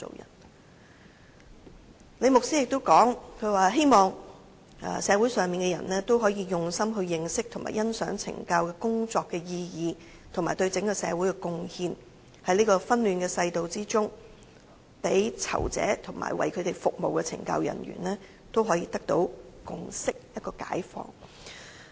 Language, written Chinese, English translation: Cantonese, "最後，李牧師又指出，希望社會人士可以用心認識和欣賞懲教工作的意義及對整個社會的貢獻，在這個紛亂的世道中，讓囚者及為他們服務的懲教人員得到共識和解放。, Lastly Rev LI says he hopes the public could get to know and appreciate the significance of correctional work and its contribution to our society . In this troubled world he wishes inmates and CSD staff who are serving them could achieve certain understanding and relief